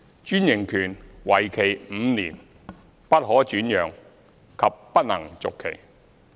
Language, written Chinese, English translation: Cantonese, 專營權為期5年，不可轉讓及不能續期。, The franchises lasting for five years cannot be transferred or renewed